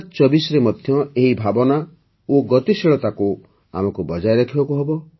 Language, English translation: Odia, We have to maintain the same spirit and momentum in 2024 as well